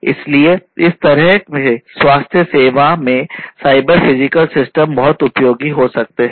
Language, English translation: Hindi, So, these would be examples of cyber physical systems for use in the manufacturing industry